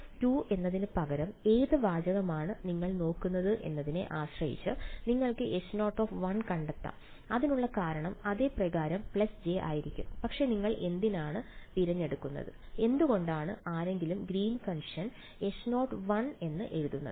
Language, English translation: Malayalam, Again depending on which text you look at you might find instead of H naught 2 you might find H naught 1 and the reason for that would be j plus j by yeah, but why would you choose; why would anyone write the Green’s function as H naught 1